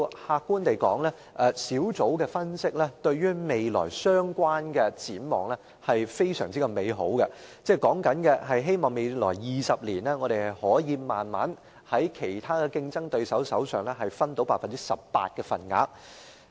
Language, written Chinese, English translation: Cantonese, 客觀地說，小組的分析顯示出對未來這方面的展望甚是美好：期望在未來20年，我們可以逐漸從其他競爭對手手上取得 18% 的份額。, The Focus Groups analysis is very optimistic about our prospects in this area hopefully Hong Kong can gradually capture up to about 18 % of aircraft leasing business in the global aircraft leasing market in the coming 20 years